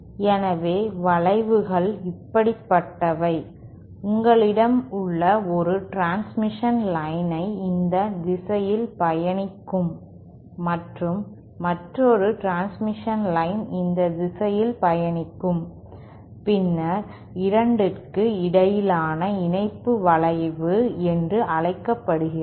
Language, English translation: Tamil, So, bends are like, you have a transmission line travelling in this direction and another transmission line travelling in this direction, then the connection between the 2 is called the bend